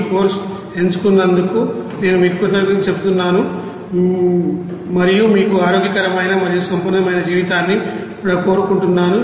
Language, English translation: Telugu, I would thank you for choosing this course and also I wish you healthy and prosperous life ahead